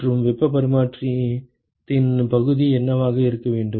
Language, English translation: Tamil, And what should be the area of heat exchange